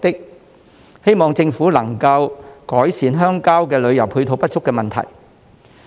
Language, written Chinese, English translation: Cantonese, 我希望政府能改善鄉郊旅遊配套不足的問題。, I hope that the Government can address the problem of insufficient rural tourism supporting facilities